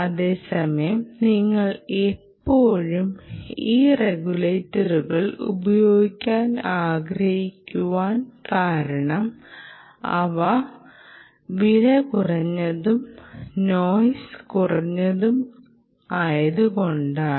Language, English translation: Malayalam, at that same time, you still want to use these regulators because they are less expensive, they are less noisy